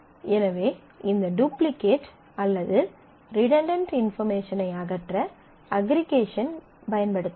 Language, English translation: Tamil, So, we can use aggregation to eliminate this duplication of information or redundancy of information